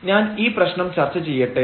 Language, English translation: Malayalam, So, let me just discuss the problem